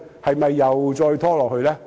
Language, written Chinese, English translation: Cantonese, 是否又再拖延下去？, Will there be further procrastination?